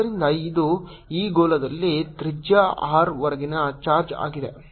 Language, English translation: Kannada, that is the charge which is contained in this sphere of radius small r